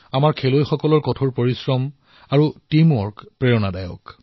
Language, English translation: Assamese, The hard work and teamwork of our players is inspirational